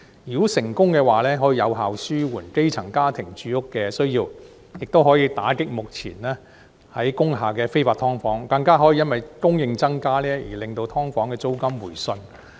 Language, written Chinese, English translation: Cantonese, 如果成功的話，可以有效紓緩基層家庭的住屋需要，亦可以打擊目前工廈的非法"劏房"，更可以因增加供應而令"劏房"租金回順。, Such an initiative if successfully implemented would go some way towards easing the housing needs of grass - roots families combat illegal subdivided units in industrial buildings and rein in the rental of subdivided units through an increase in supply